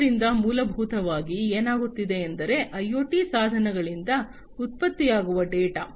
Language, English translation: Kannada, So, essentially what is happening is the data that is generated by the IoT devices